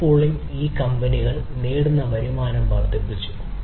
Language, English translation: Malayalam, Car pooling has increased the revenues that can be earned by these companies